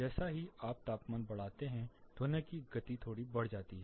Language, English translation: Hindi, As you increase the temperature further the speed of sound slightly goes up